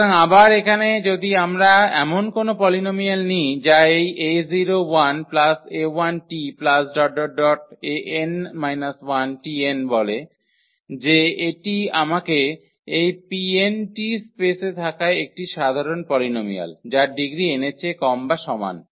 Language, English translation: Bengali, So, again here if we take any polynomial that say this a 0 a 1 t a 2 t square that is a general polynomial we have in this space P n t they are the polynomials of the degree less than or equal to n